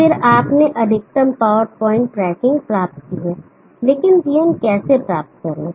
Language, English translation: Hindi, And then you have achieved maximum power point tracking, but how to get VM because we know this rule